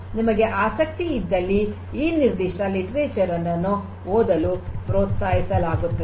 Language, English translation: Kannada, In case you are interested you are encouraged to go through this particular literature